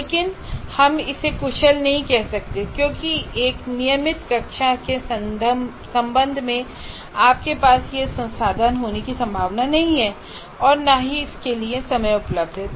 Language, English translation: Hindi, But we cannot call it efficient because in a regular class with respect to one concept, you are not likely to have this resource nor the time available for it